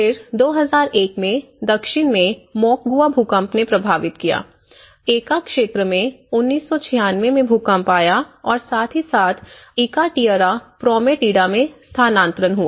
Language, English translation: Hindi, Then, you have the Moquegua earthquake in 2001, down south and whereas, this is about the Ica area, which is 1996 earthquake and as well as in Ica Tierra Prometida, which is the relocation